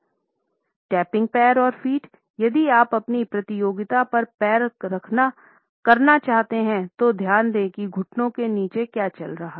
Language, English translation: Hindi, Topic legs and feet, if you want to leg up on your competition pay attention to what is going on below the knees